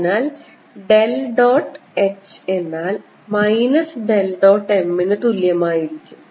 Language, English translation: Malayalam, if this is divergence, the del dot h is going to be minus del dot m